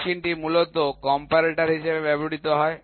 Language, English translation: Bengali, The machine is essentially used as a comparator